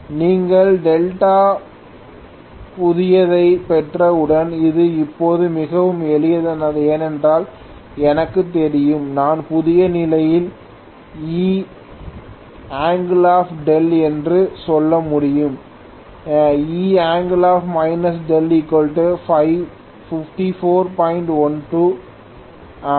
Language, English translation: Tamil, Once you have got delta new this is pretty simple now, because I know delta new, I should be able to say E angle delta in the new condition which is 5412 angle minus 5